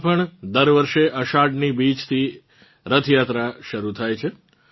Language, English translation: Gujarati, In Ahmedabad, Gujrat too, every year Rath Yatra begins from Ashadh Dwitiya